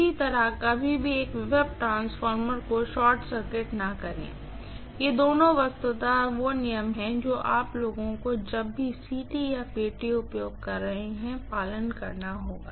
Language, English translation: Hindi, Similarly, never ever short circuit a potential transformer, both these are literally rules you guys have to follow whenever you are using CT or PT